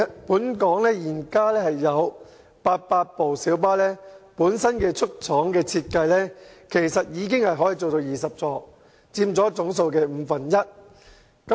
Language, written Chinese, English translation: Cantonese, 本港現時有800部小巴的出廠設計可以設有20個座位，約佔總數的五分之一。, At present 800 light buses in Hong Kong are designed to accommodate 20 seats representing about one fifth of the total number of light buses